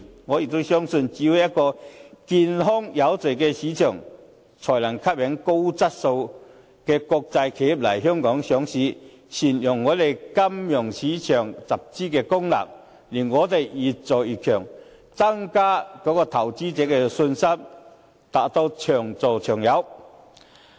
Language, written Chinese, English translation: Cantonese, 我相信只有一個健康有序的市場，才能夠吸引高質素的國際企業來港上市，善用本地金融市場的集資功能，令我們越做越強，增加投資者的信心，達到長做長有。, I believe that only if the market is healthy and orderly can it attract high quality international corporations to be listed in Hong Kong which can make good use of the financing function of the local financial market thus rendering our market stronger the confidence of investors greater and our industry more sustainable